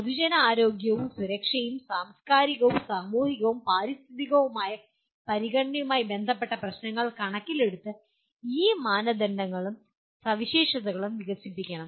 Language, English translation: Malayalam, These criteria and specification should be developed taking issues related to the public health and safety and the cultural, societal and environmental consideration